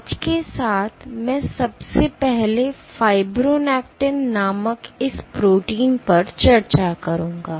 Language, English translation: Hindi, With that today I will first discuss this protein called fibronectin